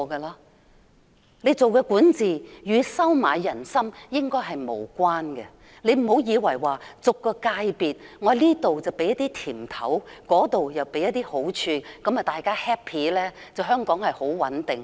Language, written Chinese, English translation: Cantonese, 良好管治應與收買人心無關，不要以為向每個界別派些"甜頭"或好處，讓大家開心，香港便穩定。, Good governance has nothing to do with winning peoples hearts . Please do not think that she can restore the stability of Hong Kong by giving out candies or favours to cheer up different sectors